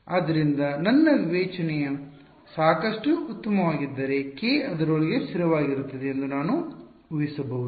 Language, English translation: Kannada, So, if my discretization is fine enough I can assume k to be approximately constant within that